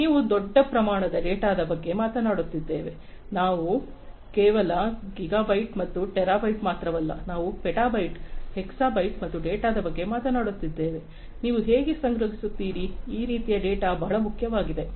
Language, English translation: Kannada, So, we are talking about huge volumes of data, we are talking about data not just in gigabytes and terabytes, we are talking about petabytes, hexabytes and so on of data, how do you store, that kind of data that is very important